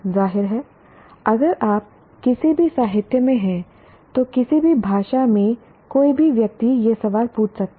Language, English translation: Hindi, Obviously if you are in any literature, in any language, one can ask this question